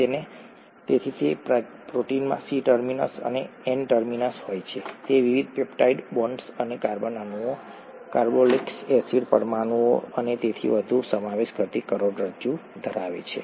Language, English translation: Gujarati, So a protein has a C terminus and an N terminus, it has a backbone consisting of the various peptide bonds and carbon atoms, carboxylic acid molecules and so on